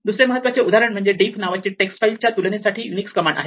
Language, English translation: Marathi, And other important example is something called a diff, which is Unix command compared to text files